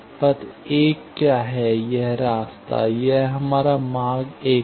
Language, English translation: Hindi, This path; this was our path 1